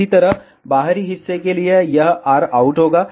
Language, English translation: Hindi, Similarly, for this outer part, it will be rout